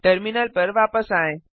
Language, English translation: Hindi, Switch back to the terminal